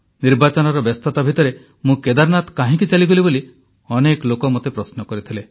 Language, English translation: Odia, Amidst hectic Election engagements, many people asked me a flurry of questions on why I had gone up to Kedarnath